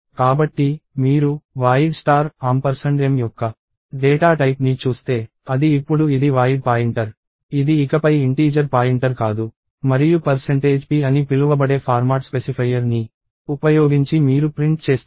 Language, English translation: Telugu, So, if you look at the data type of void star ampersand m, it is actually a void pointer now, it is not an integer pointer anymore and you are printing that using a format specifier for you called percentage p